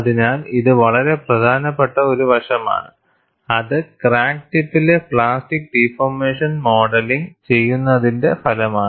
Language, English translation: Malayalam, So, that is a very important aspect, which is outcome of modeling of plastic deformation at the crack tip